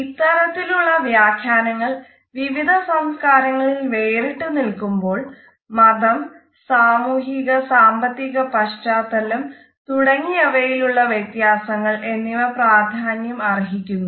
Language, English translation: Malayalam, If the interpretations and nature are not consistent amongst different cultures, we find that the differences of religions and differences with socio economic background are also important